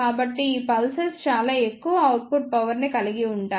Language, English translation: Telugu, So, these pulses are of very high output power